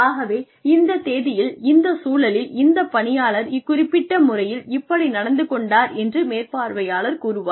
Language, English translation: Tamil, So, the supervisor will say, on so and so date, in so and so situation, this employee behaved, in this particular manner